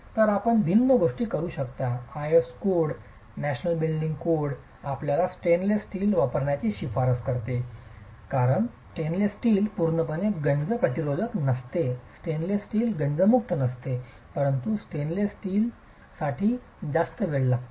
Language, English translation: Marathi, The IS code, the National Building Code recommends that you use stainless steel because stainless steel is not completely corrosion resistant, stainless steel is not corrosion free but it takes a longer time for stainless steel to corrode